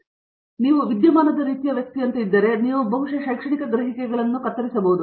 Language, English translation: Kannada, So, if you are like a phenomena kind of person, you are probably cut out for academic perceives